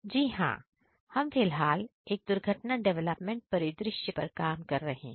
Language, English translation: Hindi, Yes, so we are currently working on an accident development scenario